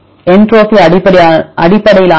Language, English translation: Tamil, Entropy based method